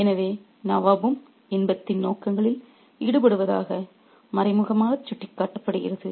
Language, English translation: Tamil, So, the nab is also indirectly indicated to be involved in the pursuits of pleasure